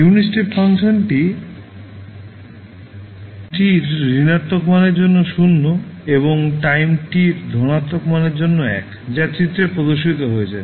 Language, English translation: Bengali, Unit step function is 0 for negative value of time t and 1 for positive value of time t as shown in the figure